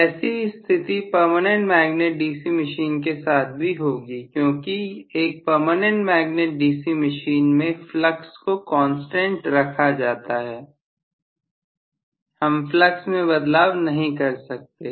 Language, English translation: Hindi, So also will be the case for a permanent magnet DC machine because permanent magnet DC machine again flux will be a constant I will not be able to change the flux